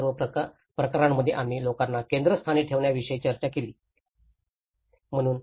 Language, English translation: Marathi, So, in all these case studies we have discussed about putting people in the centre